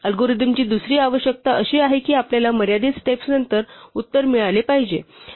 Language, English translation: Marathi, The other requirement of an algorithm is that we must get the answer after a finite number of steps